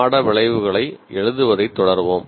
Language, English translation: Tamil, We continue with writing course outcomes